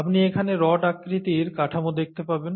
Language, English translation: Bengali, You know you’ll see these rod shaped structures here